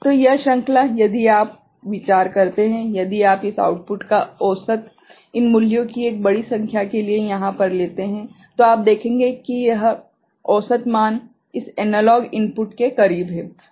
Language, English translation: Hindi, So, this series if you consider, if you just take a average of this output over here ok, for large number of these values, then you will see this average value is close to this analog input ok